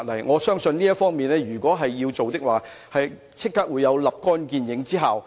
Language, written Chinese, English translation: Cantonese, 我相信如能在這方面下工夫，即可收立竿見影之效。, I believe if something can be done about this immediate results will be seen